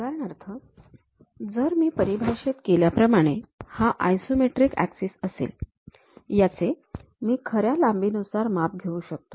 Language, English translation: Marathi, For example, if I am defining these are the isometric axis; I can measure this one as the true length